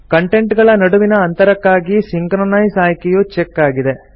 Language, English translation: Kannada, Spacing to contents has the Synchronize option checked